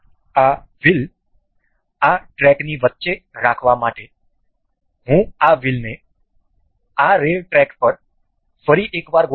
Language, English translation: Gujarati, I will align these wheels to this rail track once again to have this wheels in the middle of this track